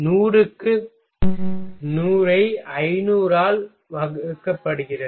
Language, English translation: Tamil, 100 into 100 divided by 500 ok